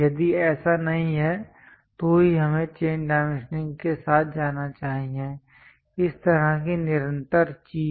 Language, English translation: Hindi, If that is not there then only, we should go with chain dimensioning; this kind of continuous thing